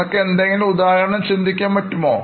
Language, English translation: Malayalam, Can you think of any example